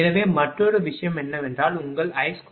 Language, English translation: Tamil, So, another thing is that your I square r